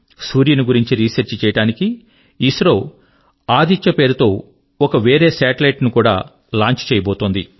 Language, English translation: Telugu, ISRO is planning to launch a satellite called Aditya, to study the sun